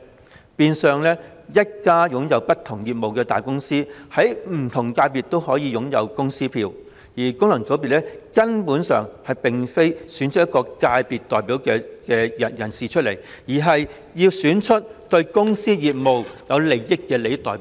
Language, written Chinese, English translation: Cantonese, 這變相是一間擁有不同業務的大公司，在不同界別也可以擁有公司票，於是功能界別選舉便根本不是要選出一位界別代表，而是要選出對公司業務有利的代表。, Hence a large company engaging in different businesses may have corporate votes in different FCs . As such the purpose of FC election is not to elect a representative of the constituency but to elect a representative who is favourable to the companys business